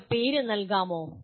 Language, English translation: Malayalam, Can you name the …